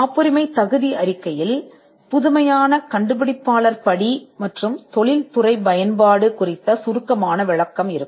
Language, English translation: Tamil, The patentability report will have a brief description on novelty inventor step and industrial application